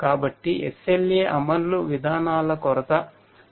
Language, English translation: Telugu, So, there is lack of SLA enforcement policies